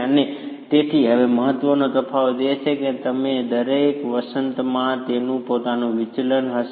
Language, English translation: Gujarati, And so now the important difference is each spring will have its own deflection